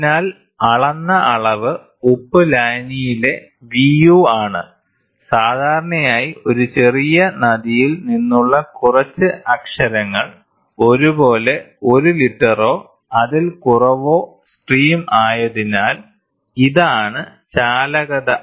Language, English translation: Malayalam, So, the measured quantity is V suffix u of salt solution is made up, typically a few letters from a river small river; perhaps, 1 liter or less of stream so, the conductivity is this